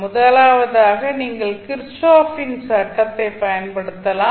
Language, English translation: Tamil, First is that you can simply apply kirchhoff’s law